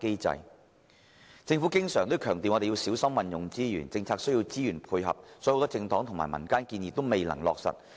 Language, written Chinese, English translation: Cantonese, 政府經常強調要小心運用資源，而政策亦需要資源配合，以致很多政黨和民間提出的建議均未能落實。, The Government always stresses the importance of effective use of resources but policies cannot be implemented without resources and this explains why many proposals put forward by political parties and the community were unable to be put in place